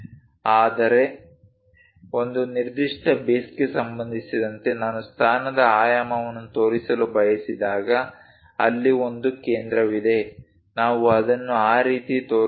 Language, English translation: Kannada, But whenever I would like to show position dimension with respect to certain base, there is some center we will show it in that way